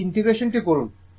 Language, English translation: Bengali, You please do this integration